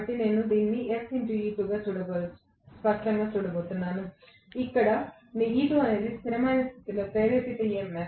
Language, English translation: Telugu, So, I am going to have this as S times E2, where E2 is the induced EMF in standstill condition